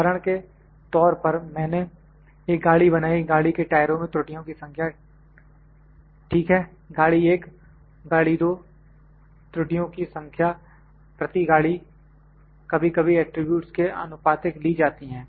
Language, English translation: Hindi, For instance, I manufactured a car, number of defects or the number of defects in the tyres of the car ok car 1, car 2 number of defects per piece of the car number of defects per piece and sometime proportionally taken those are variables